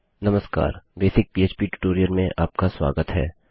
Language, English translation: Hindi, Hi and welcome to a basic PHP tutorial